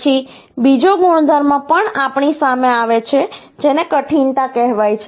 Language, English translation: Gujarati, Then another property we also come across, which is called hardness